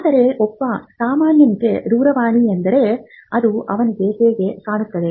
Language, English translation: Kannada, So, for a layperson a telephone is how it looks to him